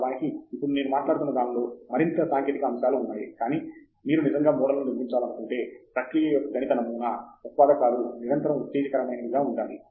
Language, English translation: Telugu, Of course, I am talking more technical stuff now, but we say that if you want to really build a model mathematical model of the process the inputs have to be persistently exciting